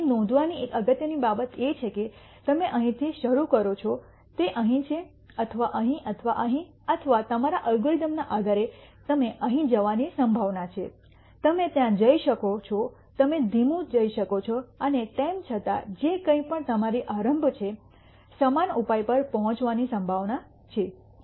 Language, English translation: Gujarati, An important thing to notice here is the respective of whether you start here or here or here or here you are likely to go here depending on your algorithm, you can go there quicker you can go the slower and so on nonetheless whatever is your initialization you are likely to get to the same solution